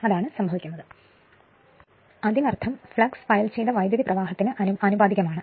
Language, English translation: Malayalam, So, we know that flux is proportional to the field current